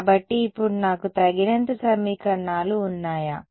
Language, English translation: Telugu, So, now, do I have enough equations